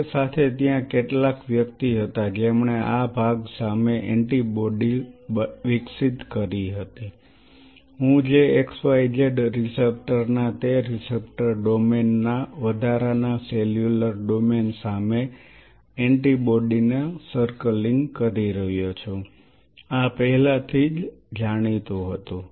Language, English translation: Gujarati, Now, what they did was very interesting parallelly there was some individual who developed earlier than that an antibody against this part, what I am circling antibody against the extra cellular domain of that receptor domain of that x y z receptor this was already known